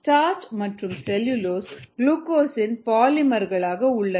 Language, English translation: Tamil, starch and cellulose happen to be polymers of glucose